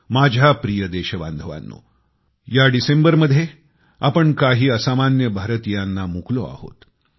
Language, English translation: Marathi, My dear countrymen, this December we had to bear the loss of some extraordinary, exemplary countrymen